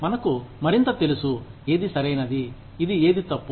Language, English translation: Telugu, We are more aware of, what is right, what is wrong